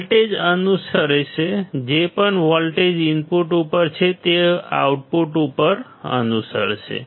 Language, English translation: Gujarati, The voltage will follow; whatever voltage is at input it will follow at the output